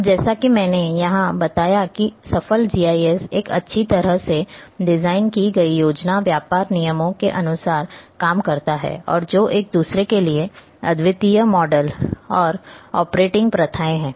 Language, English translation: Hindi, Now a successful as I mentioned here the successful GIS operates according to a well designed plan business rules, and which are the models and operating practices unique to each other